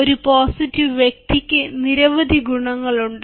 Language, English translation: Malayalam, a positive person had several advantages